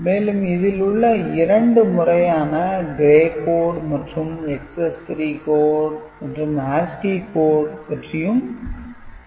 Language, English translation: Tamil, Then we shall discuss two important such codes, gray code and excess 3 code and also, we shall discuss ASCII code